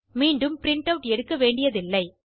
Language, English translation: Tamil, You dont have to print it again